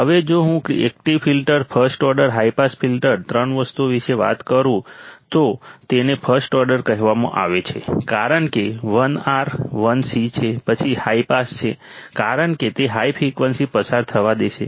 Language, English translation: Gujarati, Now if I talk about active filter, first order high pass filter, 3 things are, it’s called first order because 1 R, 1 C, then high pass because it will allow the high frequency to pass